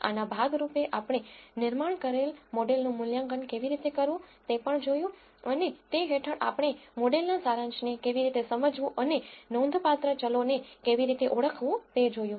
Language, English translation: Gujarati, As a part of this we also looked at how to assess the model that we have built and under that we looked at how to interpret the model summary and identify the significant variables